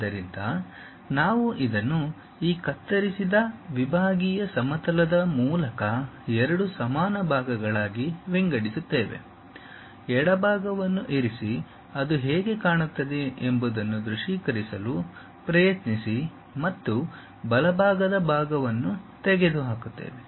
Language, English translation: Kannada, So, we split this into two equal parts through this cut sectional plane, keep the left part, try to visualize how it looks like and remove the right side part